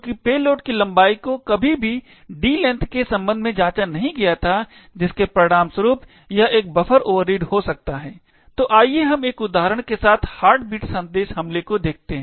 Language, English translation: Hindi, Since, the payload length was never checked with respect to the D length it could result in a buffer overread, so let us look at the heart bleed attack with an example